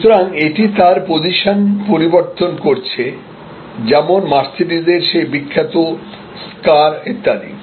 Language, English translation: Bengali, So, it is changing it is position more like the famous, towards the famous scar of Mercedes and so on